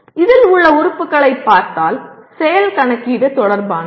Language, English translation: Tamil, If you look at the elements in this, action is related to calculate